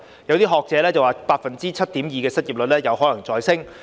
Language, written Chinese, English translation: Cantonese, 有學者表示 ，7.2% 的失業率有可能再上升。, According to some academics the unemployment rate of 7.2 % is likely to rise further